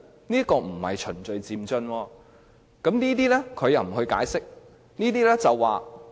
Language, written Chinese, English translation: Cantonese, 這並不是循序漸進，但卻沒有任何解釋。, This is not in any way gradual and orderly progress but no explanation has been offered